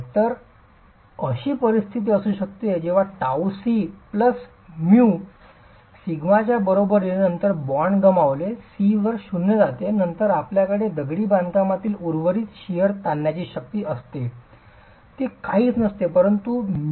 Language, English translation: Marathi, So, you could have a situation where tau is equal to C plus mu sigma initially, then the bond is lost, C goes to zero, tau is then the residual shear stress, shear strength that you have in the masonry is nothing but tau into mu sigma